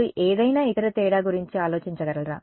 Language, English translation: Telugu, Any other difference you can think of